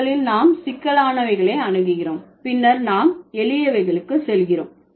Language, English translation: Tamil, So, first we approach the complex ones, then we go to the simpler ones